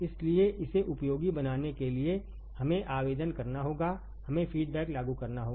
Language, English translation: Hindi, So, to make it useful we have to apply we have to apply feedback